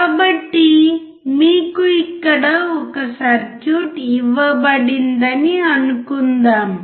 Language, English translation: Telugu, So, suppose you are given a circuit which is here